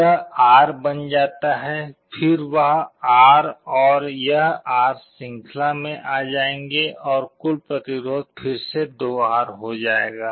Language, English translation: Hindi, This becomes R, then that R and this R will come in series and the net resistance will again become 2R